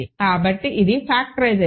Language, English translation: Telugu, So, this is the factorization